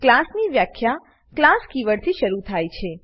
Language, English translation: Gujarati, A class definition begins with the keyword class